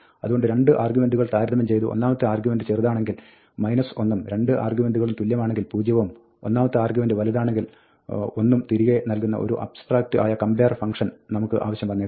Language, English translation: Malayalam, So, we might have an abstract compare function, which returns minus 1 if the first argument is smaller, zero if the 2 arguments are equal, and plus 1 if the first argument is bigger than the second